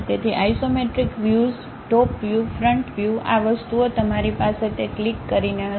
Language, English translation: Gujarati, So, the isometric views, top view, front view these things, you will have it by clicking that